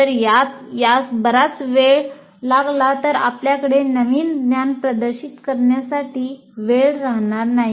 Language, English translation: Marathi, If it takes too long then you don't have time for actually demonstrating the new knowledge